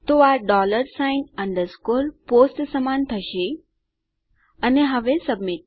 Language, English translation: Gujarati, So this will be equal to dollar sign underscore POST and now submit